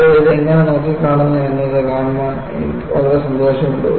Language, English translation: Malayalam, You know, it is very nice to see, how people have looked at it